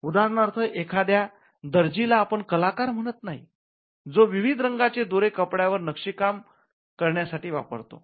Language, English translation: Marathi, For instance, we do not say an artist, or a tailor uses colourful threads to create an embroidered piece of cloth